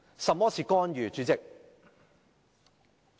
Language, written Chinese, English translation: Cantonese, 甚麼是"干預"，主席？, What is interference President?